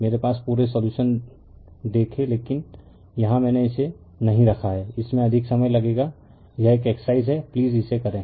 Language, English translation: Hindi, Look whole solutions I have, but here I did not put it will consume more time, this is an exercise for you please do it right